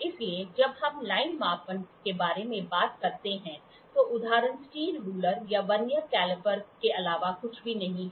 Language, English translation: Hindi, So, when we talk about line measurement, the examples are nothing but steel ruler or Vernier caliper